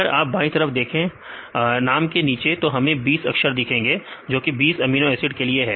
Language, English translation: Hindi, If you see the left side that you have in the under the name; we can see the 20 alphabets, these are 20 amino acid residues